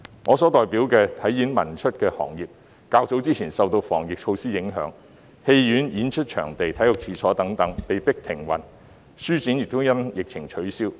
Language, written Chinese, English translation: Cantonese, 我所代表的"體演文出"行業，在較早前受防疫措施影響，戲院、演出場地和體育處所等被迫停運，書展亦因疫情取消。, Earlier on the sports performing arts culture and publication sectors represented by me have been impacted by the anti - epidemic measures . Cinemas performance venues sports premises etc . were forced to suspend operation and book fairs were cancelled owing to the epidemic